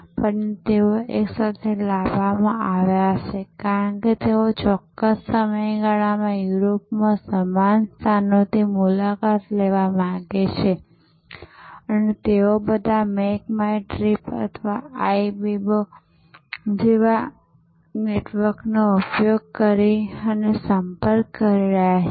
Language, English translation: Gujarati, But, they might have been brought together, because they want to visit the same locations in Europe at a particular period and they are all approaching a network like Make my trip or Ibibo